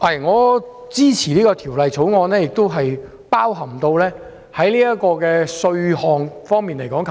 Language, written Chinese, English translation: Cantonese, 我支持三讀《條例草案》，當中包含稅項方面的修訂。, I support the Third Reading of the Bill including the amendment to the taxation arrangement